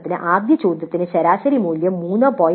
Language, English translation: Malayalam, Like for example for the first question the average value was 3